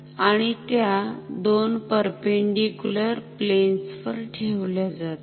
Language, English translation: Marathi, So, they are perpendicular to each other